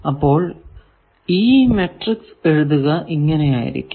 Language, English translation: Malayalam, So, you write the matrix like this, then S